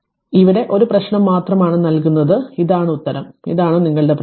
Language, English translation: Malayalam, So, one only one problem here I will giving here and this is the answer and this is your problem right